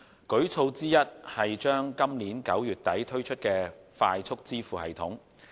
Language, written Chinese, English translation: Cantonese, 舉措之一是將於今年9月底推出的快速支付系統。, One of the initiatives is a Faster Payment System FPS to be launched in late September this year